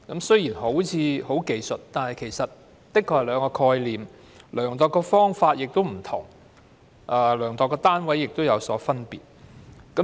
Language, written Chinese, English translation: Cantonese, 雖然看似是技術性修訂，但其實是兩種概念，量度的方法及單位亦有分別。, While this appears to be a technical amendment the concepts of the two terms are completely different and the measurement methods and units are also different